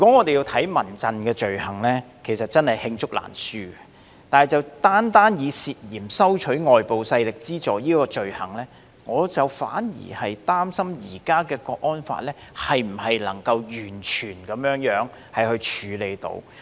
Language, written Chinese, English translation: Cantonese, 說到民陣的罪行，委實是罄竹難書，但單以涉嫌收取外部勢力資助這項罪行而論，我反而擔心現行的《香港國安法》能否完全處理到。, CHRF has committed countless offences indeed but with regard to the illegal act of allegedly receiving funds provided by external forces I am conversely concerned that we may not be able to deal with it completely under the existing HKNSL